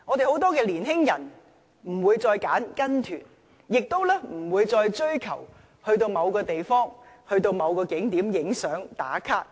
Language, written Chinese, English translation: Cantonese, 很多年輕人不會再選擇參加旅行團，亦不會再追求去某個地方或景點拍照，"打卡"。, Many young people no longer join tour groups and they show no interest to take photos at a particular place or tourist attractions and then check in on Facebook